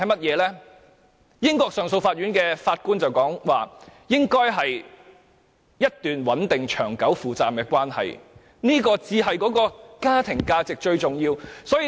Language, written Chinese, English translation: Cantonese, 根據英國上訴法院的法官所說，應該是一段穩定、長久、負責任的關係，這才是家庭價值中最重要的一環。, According to the Judge of the Court of Appeal of the United Kingdom it should be a stable long - lasting and committed relationship for this is the most essential link in family values